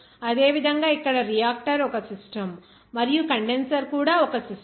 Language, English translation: Telugu, Similarly, here reactor is one system, and the condenser is also one system